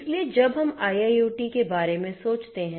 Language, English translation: Hindi, So, you know when we think about IIoT